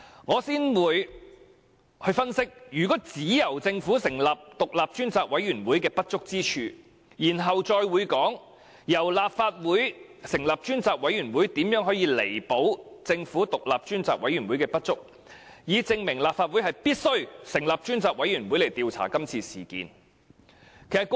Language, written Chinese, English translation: Cantonese, 我會先分析只由政府成立獨立調查委員會的不足之處，然後再談談由立法會成立專責委員會如何可彌補政府獨立調查委員會的不足，以證明立法會必須成立專責委員會調查今次事件。, First of all I will analyse the shortcomings of only having an independent Commission of Inquiry set up by the Government and then I will proceed to talk about how a select committee set up by the Legislative Council can make up for the shortcomings of the Governments independent Commission of Inquiry so as to prove the point that the Legislative Council must set up a select committee to inquire into this incident